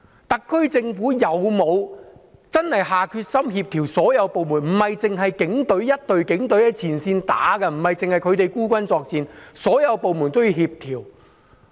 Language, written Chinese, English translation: Cantonese, 特區政府有否真的下決心在所有部門中作出協調，不應只有一支警隊在前線單打獨鬥，不應只有他們孤軍作戰，而是應該協調所有部門的工作？, Has the SAR Government really drummed up the resolve to forge coordination among all the departments? . Instead of having only the Police Force fighting a lone battle in the front line and making them fight all by themselves the Government should coordinate the efforts of all the departments